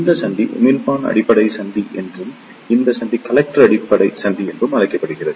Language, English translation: Tamil, This junction is called as the Emitter Base Junction and this junction is called as the Collector Base Junction